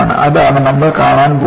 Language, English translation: Malayalam, That is what, we are going to see